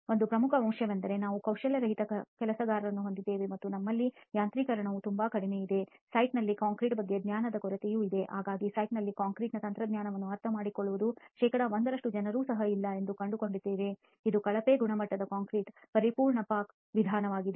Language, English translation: Kannada, One major aspect is we have unskilled workers and we have very low levels of mechanization, there is also lack of knowledge about concrete on the site very often you find that there is not even 1 percent who understands concrete technology on the site, this is obviously going to be a perfect recipe for poor quality of concrete